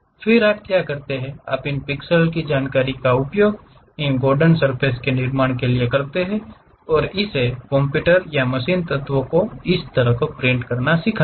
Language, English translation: Hindi, Then what you do is, you use those pixel information's try to construct these Gordon surfaces and teach it to the computer or to that machine element print it in this way